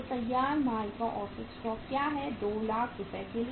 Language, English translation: Hindi, So what is average stock of the finished goods, say for 2 lakh rupees